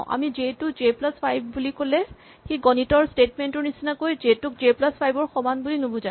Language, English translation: Assamese, So, when we say j is equal to j plus 5 it is not a mathematical statement, where the value of j is equal to the value of j plus 5